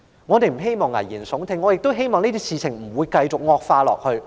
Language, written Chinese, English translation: Cantonese, 我們不想危言聳聽，只希望這些事情不會繼續惡化。, We do not want to be alarmists but we only hope that the situation will not continue to worsen